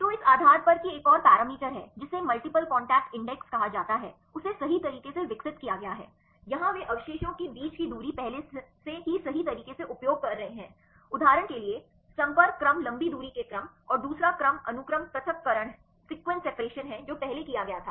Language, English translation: Hindi, So, based on that there is another parameter called the multiple contact index have been developed right; here they take distance between residues is already used in the previous methods right; for example, contact order long range order and the second one is sequence separation this was done earlier